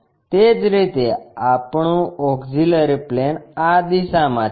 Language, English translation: Gujarati, In the same our auxiliary plane is in this direction